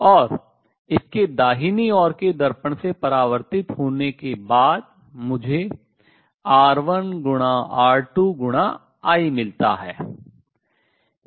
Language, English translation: Hindi, And after its get reflected from the right side mirror I get R 1 times R 2 times I